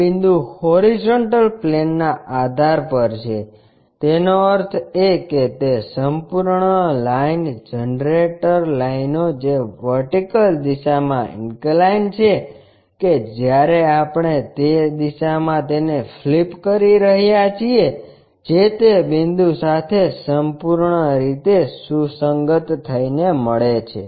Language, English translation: Gujarati, This point is on the base on horizontal plane; that means, that entire line generator lines which are inclined in the vertical direction that when we are flipping it in that direction that entirely coincide to that point